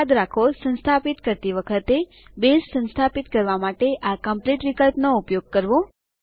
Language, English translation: Gujarati, Remember, when installing, use the Complete option to install Base